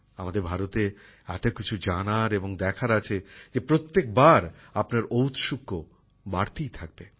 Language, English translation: Bengali, There is so much to know and see in our India that your curiosity will only increase every time